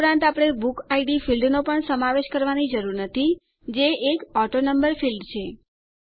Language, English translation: Gujarati, Also, we need not include the BookId field which is an AutoNumber field